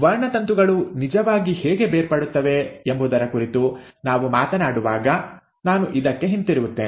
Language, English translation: Kannada, And I will come back to this when we are talking about how the chromosomes actually get separated